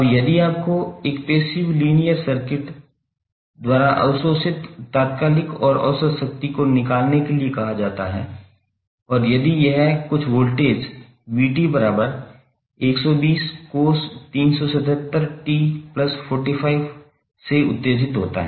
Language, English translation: Hindi, Now, if you are asked to find the instantaneous and average power absorbed by a passive linear circuit and if it is excited by some voltage V that is given as 120 cos 377t plus 45 degree